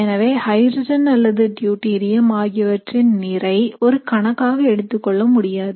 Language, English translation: Tamil, So that is why whether you have hydrogen or deuterium, so there is not a big difference